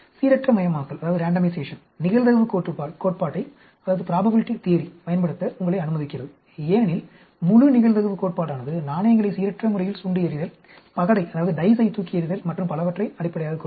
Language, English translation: Tamil, Randomization allows you to use the probability theory because the entire probability theory is based on random tossing of coins, tossing of dice and so on, actually